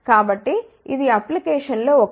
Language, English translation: Telugu, So, this is one of the application